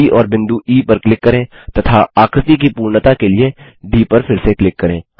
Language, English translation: Hindi, Click on the point D and then on point E and D once again to complete the figure